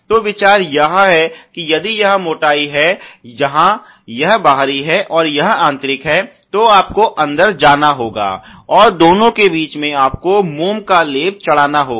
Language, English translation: Hindi, So, the idea is that if this is the thickness where this is the outer, this is the inner, you have to go from the inside and in between the two you have to give the wax coating somewhere in the middle